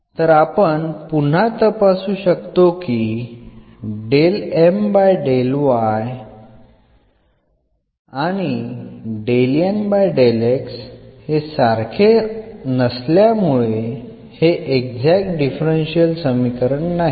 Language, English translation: Marathi, So, we will continue discussing Exact Differential Equations